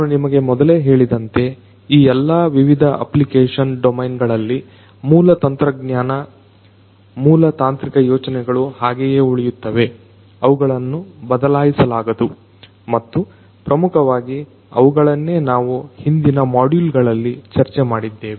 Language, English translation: Kannada, As I told you earlier as well that in all of these different application domains, the core technology, the core technological ideas remain the same; they cannot be changed and they are basically the ones that we have discussed in the previous modules